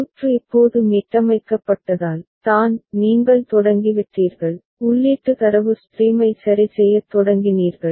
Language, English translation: Tamil, Because the circuit is just reset, is just you have begun, you have begun to sample the input data stream ok